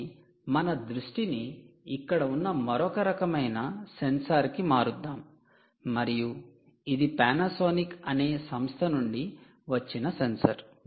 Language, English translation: Telugu, ok, so lets shift our focus to another type of sensor which is here, which is essentially ah a sensor, which is from a company called panasonic